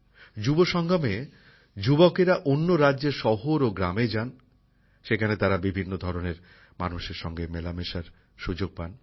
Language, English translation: Bengali, In 'Yuvasangam' youth visit cities and villages of other states, they get an opportunity to meet different types of people